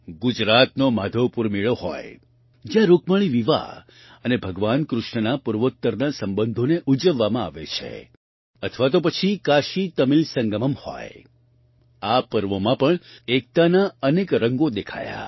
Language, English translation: Gujarati, Be it the Madhavpur Mela in Gujarat, where Rukmini's marriage, and Lord Krishna's relationship with the Northeast is celebrated, or the KashiTamil Sangamam, many colors of unity were visible in these festivals